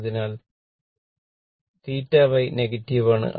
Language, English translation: Malayalam, So, theta Y is negative right